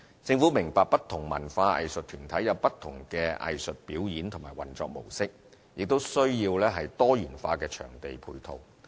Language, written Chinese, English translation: Cantonese, 政府明白不同文化藝術團體有不同的藝術表演和運作模式，也需要多元化的場地配套。, The Government understands that different cultural and arts groups engage in different forms of artistic performance and modes of operation necessitating diversified venues to dovetail with their needs